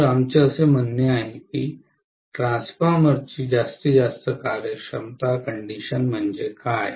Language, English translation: Marathi, So this is what we mean by saying, what is the maximum efficiency condition of a transformer